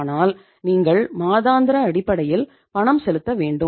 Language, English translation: Tamil, But you have to make the payment on the monthly basis